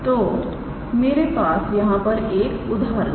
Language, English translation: Hindi, So, we have an example here